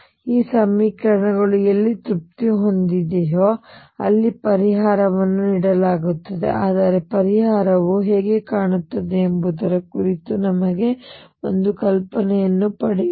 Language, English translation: Kannada, Then the solution is given by wherever these equations is satisfied, but let us get an idea as to what solution would look like